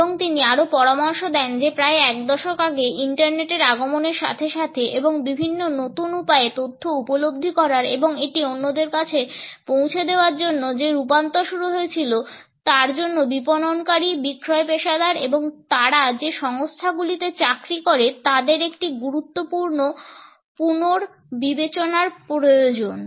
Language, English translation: Bengali, And he also suggests that the transition that had started about a decade ago with the arrival of the internet and the introduction of various new ways of accessing information and passing it onto others, required a significant rethinking on the people of marketers, sales professionals and the organisations they serve